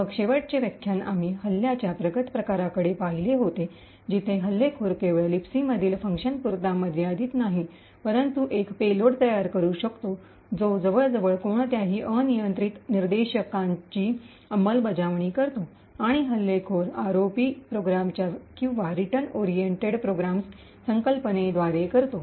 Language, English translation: Marathi, Then the last lecture we had looked at a more advanced form of attack where the attacker is not restricted to functions in the Libc but could create a payload which executes almost any arbitrary instructions and the way the attacker does this is by a concept of ROP programs or Return Oriented Program